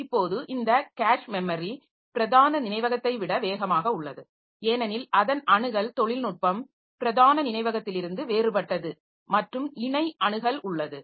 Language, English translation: Tamil, Now, so this cache is faster than main memory because of its access technology that is different from main memory and it has got a parallel access